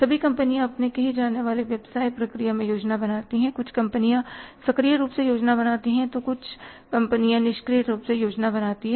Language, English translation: Hindi, All companies plan in their business process, some companies plan actively, some companies plan passively